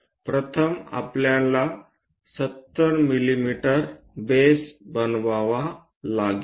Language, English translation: Marathi, First, we have to construct six 70 mm base